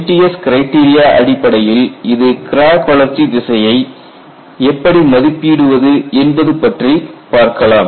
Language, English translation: Tamil, Then we looked at the criteria that allowed estimation of crack growth direction